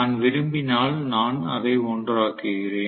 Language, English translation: Tamil, If I want, I make it 1